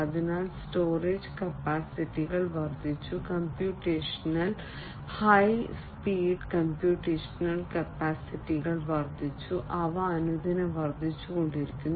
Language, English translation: Malayalam, So, storage capacities have increased computational high speed computational capacities have increased and they are increasing even more day by day